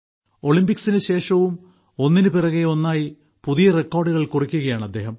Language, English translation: Malayalam, Even after the Olympics, he is setting new records of success, one after the other